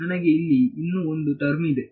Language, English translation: Kannada, I have there is one more term over here